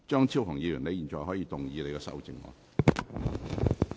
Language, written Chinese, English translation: Cantonese, 張超雄議員，你現在可以動議你的修正案。, Dr Fernando CHEUNG you may now move your amendment